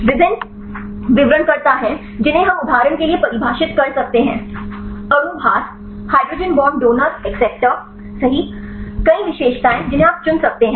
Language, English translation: Hindi, There are various descriptors we can define for example, molecule weights, hydrogen bond donor acceptor right several features you can select